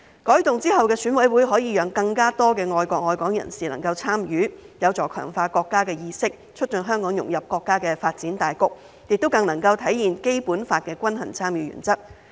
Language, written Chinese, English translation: Cantonese, 改動後的選委會可以讓更多愛國愛港人士參與，有助強化國家意識，促進香港融入國家的發展大局，亦能更體現《基本法》的均衡參與原則。, The reformed EC will allow the participation of more people who love our country and Hong Kong help strengthen national consciousness facilitate Hong Kongs integration into the overall development of our country and better reflect the principle of balanced participation under the Basic Law